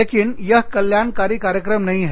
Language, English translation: Hindi, But, this is not a wellness program